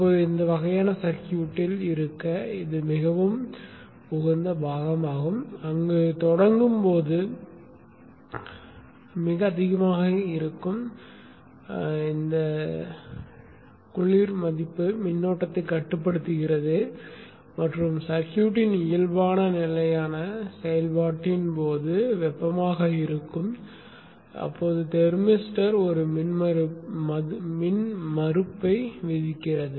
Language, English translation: Tamil, 5 oms now this is a significant drop now this is a very ideal component to have in this kind of a circuit where during the start up the cold value is very high limits the current and during the normal steady operation of the circuit the thermister which would have become hot imposes impedance of around 0